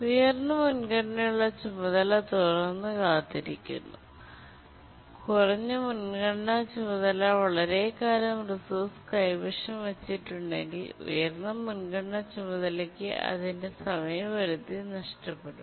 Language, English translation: Malayalam, And if the low priority task holds the resource for a long time, the high priority task is of course going to miss its deadline